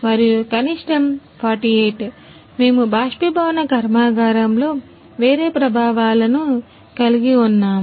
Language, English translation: Telugu, And the minimum is 48 we have a different effects in an evaporation plant